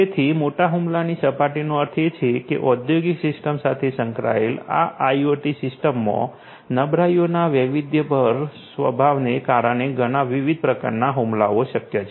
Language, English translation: Gujarati, So, that means, that large attack surface means that there are so many different types of attacks that are possible because of the diverse nature of vulnerabilities that exist in these IoT systems integrated with the industrial systems and so on